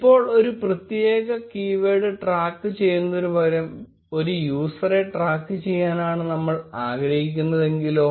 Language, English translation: Malayalam, Now, what if we wanted to track a user instead of tracking a particular keyword